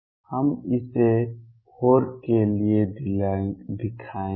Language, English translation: Hindi, We will show that for the dawn